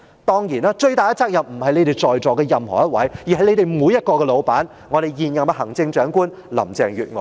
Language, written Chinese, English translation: Cantonese, 當然，最大責任不是在席的任何一位，而是你們的老闆——現任行政長官林鄭月娥。, Certainly the person who should bear the largest share of the blame is none in this Chamber but your boss Carrie LAM the incumbent Chief Executive